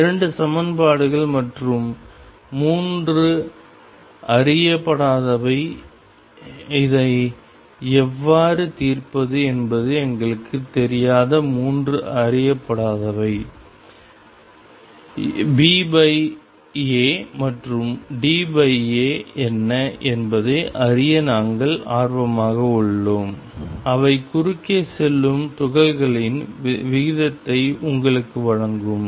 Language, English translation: Tamil, There are 2 equations and 3 unknowns how do we solve this we are not interested in knowing all 3 unknowns all we are interested in knowing what is B over A and D over A, they will give you the ratio of the particles that go across